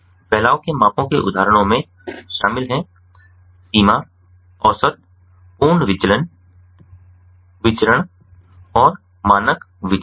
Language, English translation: Hindi, examples of dispersion measures include range, average, absolute deviation, variance and standard deviation